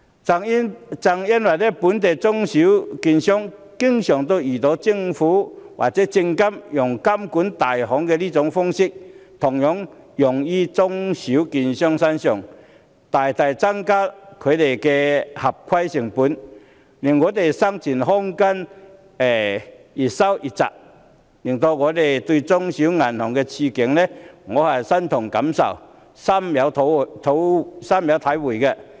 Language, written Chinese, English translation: Cantonese, 正因為本地的中小型券商經常遇到政府或證券及期貨事務監察委員會以監管大行的模式來監管，大大增加它們的合規成本，使它們的生存空間越來越窄，令我對中小型銀行的處境感同身受，深有體會。, The Government or the Securities and Futures Commission has been regulating local small and medium brokerages in the same way as large brokerages . This has substantially increased their compliance costs and lowered their viability . This is why I deeply share the feelings of small and medium banks and sympathize with their situation